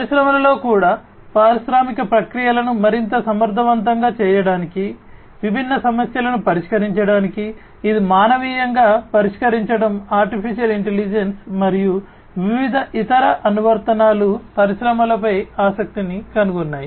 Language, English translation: Telugu, In the industries also for making the industrial processes much more efficient, to solve different problems, which manually was difficult to be solved AI and different other applications have found interest in the industries